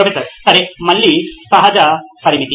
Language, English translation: Telugu, Okay, again natural limit